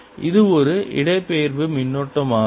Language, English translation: Tamil, that is a displacement current